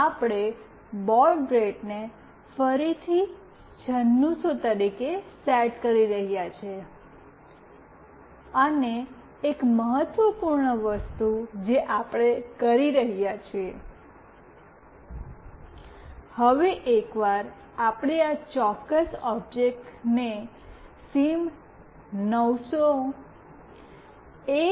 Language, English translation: Gujarati, We are setting up the baud rate as 9600 again and one of the important thing that we are doing, now once we have made this particular object SIM900A